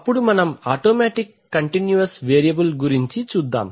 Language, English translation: Telugu, Now let us automatic continuous variable control